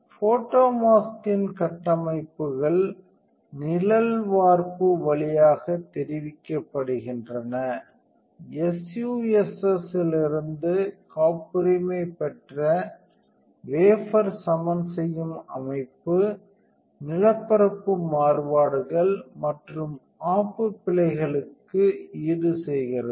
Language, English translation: Tamil, The structures of the photo mask are conveyed via shadow cast, the patented wafer levelling system from SUSS compensate for topographic variations and wedge errors